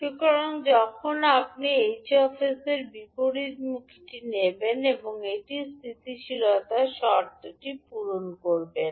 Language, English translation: Bengali, So when you take the inverse of the h s the inverse of h s will not meet the stability condition